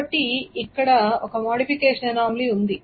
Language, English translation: Telugu, Why is there a modification anomaly